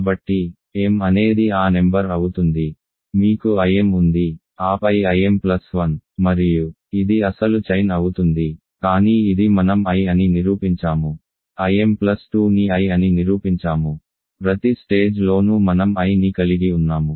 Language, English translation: Telugu, So, m is that number, you have I m then I m plus 1 and this is the original chain, but this we have just proved is I, this we have proved is I, I m plus 2 is I, at every stage we have I